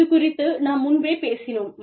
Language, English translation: Tamil, We have talked about it, earlier